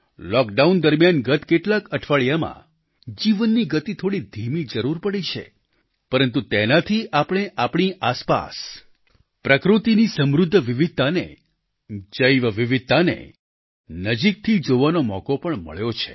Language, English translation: Gujarati, During Lockdown in the last few weeks the pace of life may have slowed down a bit but it has also given us an opportunity to introspect upon the rich diversity of nature or biodiversity around us